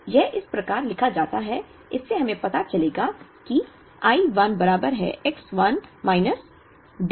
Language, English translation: Hindi, So, this is written as, from this we will know that I 1 is equal to X 1 minus, D 1